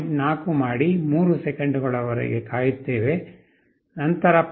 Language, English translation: Kannada, 4 wait for 3 seconds, 0